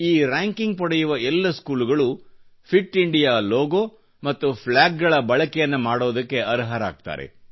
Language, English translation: Kannada, The schools that achieve this ranking will also be able to use the 'Fit India' logo and flag